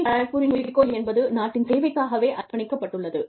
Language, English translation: Tamil, The motto of IIT Kharagpur, is dedicated, to the service of the nation